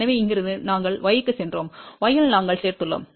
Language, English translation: Tamil, So, from here we went to y, in y we added something